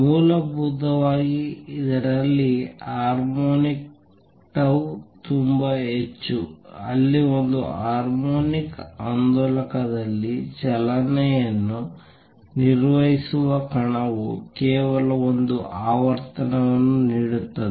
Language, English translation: Kannada, The fundamental and it is harmonics tau times that much where as a particle performing motion in a harmonic oscillator would give out only one frequency